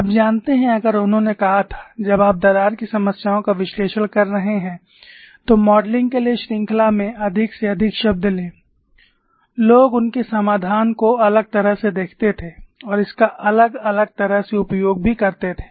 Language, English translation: Hindi, You know, if he had said, when you are analysing crack problems, take as many terms in the series as possible for modelling, people would have looked at his solution differently and also used it differently